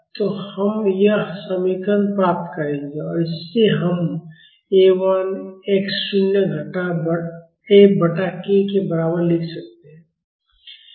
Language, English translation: Hindi, So, we will get this equation and from this we can write A 1 is equal to x naught minus F by k